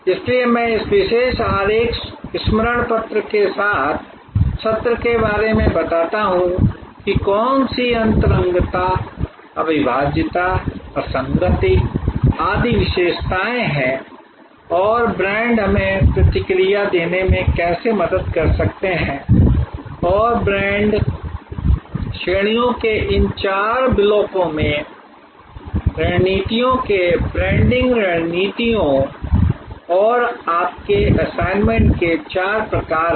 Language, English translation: Hindi, So, I end to the session with this particular diagram reminder about, what intangibility, inseparability, inconsistency, etc are the characteristics and how brand can help us to respond and these four blocks of brand categories branding strategies four types of branding strategies and your assignment, where you have to come up with five elements of a good brand